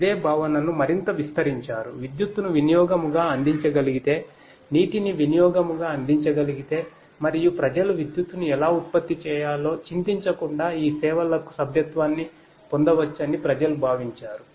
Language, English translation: Telugu, The same concept was extended further, people thought that if electricity can be offered as utility, if water can be offered as utility and people can subscribe to this services without worrying how to generate electricity and so on